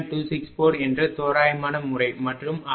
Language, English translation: Tamil, 264 and it is 14